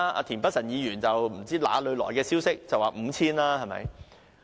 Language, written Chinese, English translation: Cantonese, 田北辰議員更不知從哪裏聽來的消息，指有 5,000 支。, Mr Michael TIEN had from sources unknown claimed that the number was 5 000